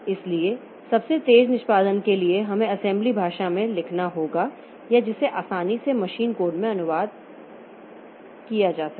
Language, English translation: Hindi, So, for fastest execution we must write in the assembly language or the which is easily translated to machine code